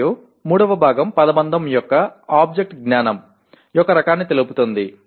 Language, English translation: Telugu, And the third part the object of the phrase states the type of knowledge